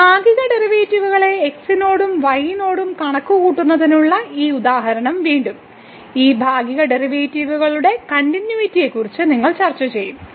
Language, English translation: Malayalam, So, this example again to compute the partial derivatives with respect to and with respect to and also you will discuss the continuity of these partial derivatives